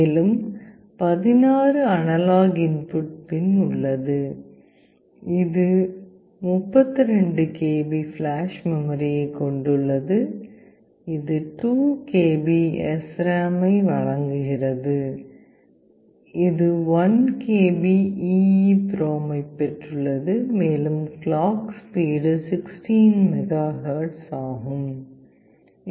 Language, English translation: Tamil, And there are 16 analog input pin, it has a flash memory of 32 KB, it provides SRAM of 2 KB, it has got an EEPROM of 1 KB, and the clock speed is 16 MHz